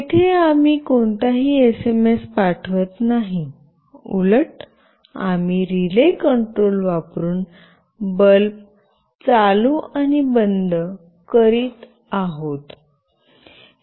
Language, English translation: Marathi, There we are not sending any SMS, rather we are just switching ON and OFF a bulb using relay control